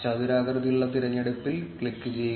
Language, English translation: Malayalam, Click on the rectangular selection